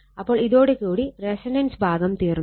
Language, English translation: Malayalam, So, with this with this your resonance part is over